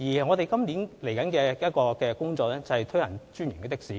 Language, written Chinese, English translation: Cantonese, 我們今年的另一項工作，是推行"專營的士"。, Our next task of this year is to introduce franchised taxis